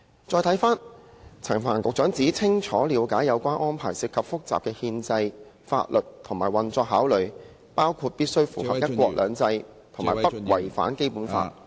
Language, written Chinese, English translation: Cantonese, 再看回陳帆局長指"清楚了解有關安排涉及複雜的憲制、法律及運作考慮，包括必須符合'一國兩制'和不違反《基本法》"......, Secretary Frank CHAN also says that the SAR Government clearly understands that the arrangement involves complicated constitutional legal and operational considerations including the necessity to comply with the principle of one country two systems and to ensure no violation of the Basic Law